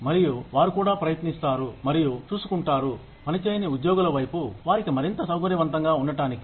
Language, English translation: Telugu, And, they also try and look after, the non work side of their employees, just to make them more comfortable